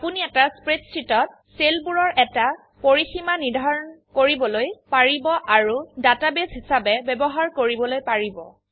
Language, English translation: Assamese, You can define a range of cells in a spreadsheet and use it as a database